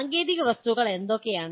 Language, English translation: Malayalam, What are the technical objects